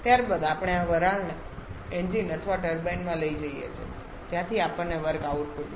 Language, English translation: Gujarati, Subsequently we take this steam to a engine or turbine where we get the work output